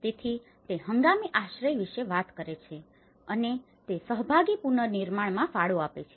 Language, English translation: Gujarati, So, he talks about temporary shelter contribute to participatory reconstruction